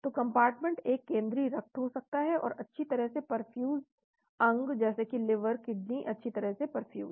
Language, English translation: Hindi, So compartment one central could be blood and well perfused organs like liver kidney well perfused